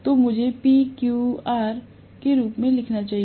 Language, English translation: Hindi, So, let me write this as PQR okay